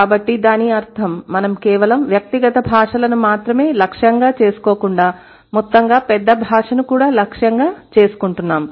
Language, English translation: Telugu, So, that means we are not just targeting individual languages but we are also targeting the bigger language as a whole